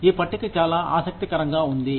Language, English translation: Telugu, This table is very interesting